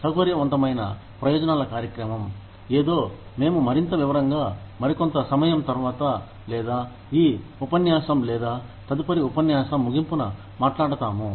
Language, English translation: Telugu, Flexible benefits program is something, we will talk about in a greater detail, some other time, or maybe towards the end of this lecture, or maybe the end of next lecture